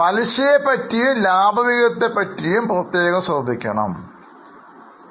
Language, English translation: Malayalam, There is some special need to note about interest and dividend